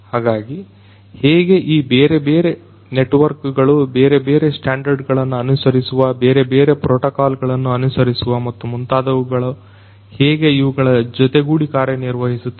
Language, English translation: Kannada, So, how these different networks following different standards, following different you know protocols and so on how they are going to work hand in hand